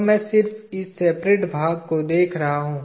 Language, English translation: Hindi, So, I am just showing the separated part